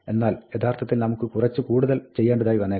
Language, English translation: Malayalam, But we may actually want to do a lot more